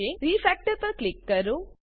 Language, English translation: Gujarati, Click on Refactor